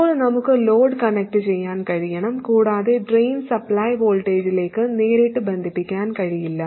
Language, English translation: Malayalam, Now we have to be able to connect the load, okay, and the drain cannot be connected to the supply voltage directly